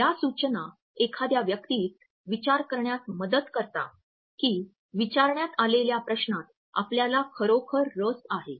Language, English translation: Marathi, These suggestions help a person to think that you are genuinely interested in the question which has been asked